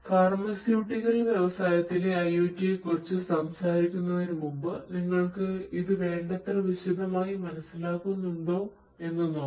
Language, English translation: Malayalam, So, before I talk about IoT in pharmaceutical industry, let me see whether we understand this in detail enough